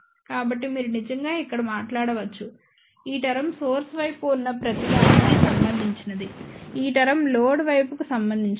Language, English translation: Telugu, So, you can actually speaking see here this term is related to everything in the source side; this term is related everything to the load side